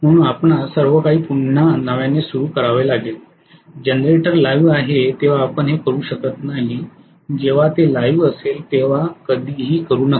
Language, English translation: Marathi, So you have to switch off everything again start a fresh, you cannot do this when the generator is live never do it when it is live